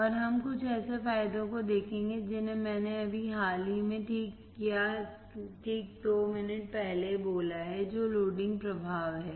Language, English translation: Hindi, And we will see some of the advantages that I have just talked recently or right before two minutes that are the load loading effect